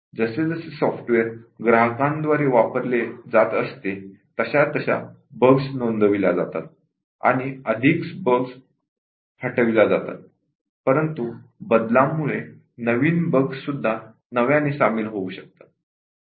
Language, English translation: Marathi, As it is used by the customers and bugs are reported, more bugs get removed but then bugs also are introduced due to the changes